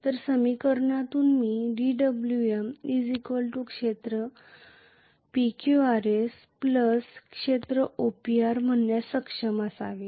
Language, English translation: Marathi, So from this equation I should be able to write dWm equal to area PQRS plus area OPR